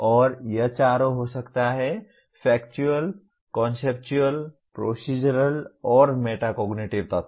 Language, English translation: Hindi, And it can be all the four; Factual, Conceptual, Procedural, and Metacognitive elements